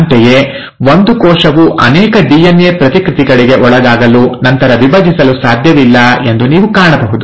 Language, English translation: Kannada, Similarly, you will find that a cell cannot afford to undergo multiple DNA replications and then divide